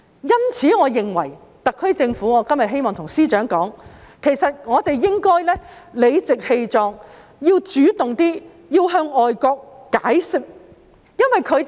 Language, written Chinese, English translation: Cantonese, 因此，我今天對司長說，我認為特區政府應該理直氣壯地主動向外國解釋。, Hence today I tell the Secretary for Justice that I think the SAR Government should take the initiative to explain the case to foreign countries in complete confidence